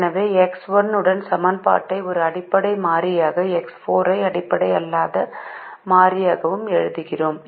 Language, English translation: Tamil, therefore we write the equation with x one as a basic variable and x four as a non basic variable